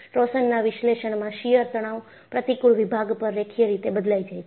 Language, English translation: Gujarati, And, in torsion analysis, the shear stress varies linearly over the cross section